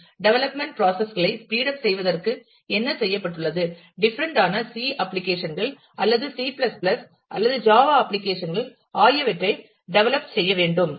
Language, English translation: Tamil, What has been done to speed up development processes, development applications for different say C applications, or C ++, or java applications